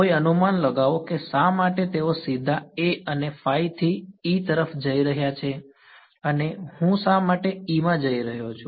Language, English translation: Gujarati, Any guesses why they are going directly to E from A and phi, why I am a going to E